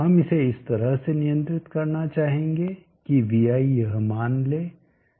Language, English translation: Hindi, We would like to control it in such a manner that vi is taking this value